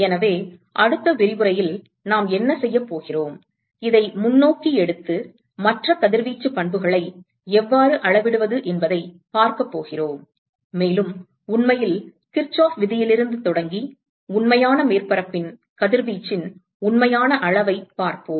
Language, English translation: Tamil, So, what we are going to do in the next lecture is we are going to take this forward and see how to quantify other radiation properties, and really the actual quantification of radiation of real surface starting from Kirchoff’s law